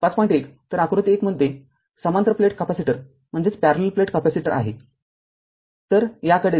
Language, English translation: Marathi, 1; so figure 1 so is a parallel plate capacitor so, go to this